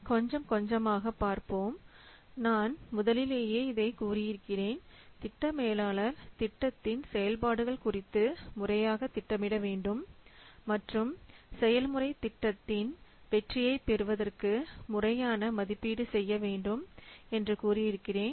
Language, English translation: Tamil, So that's why let's see, I have already told you has to the project manager has to plan properly regarding the activities of the project and do proper estimation in view to get the project success